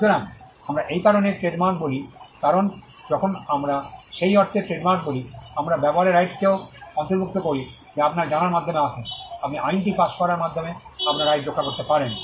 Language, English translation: Bengali, So, that is why we say that trademarks, when we say trademarks in that sense, we also include the right to use which comes by way of you know, you can protect your right by way of the law of passing of